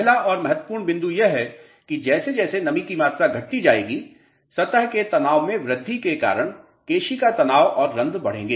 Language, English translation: Hindi, The first and foremost point is that as moisture content decreases, capillary stresses and void will increase due to the increased surface tension